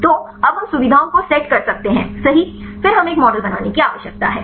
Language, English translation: Hindi, So, now, we can set the features right then we need to build a model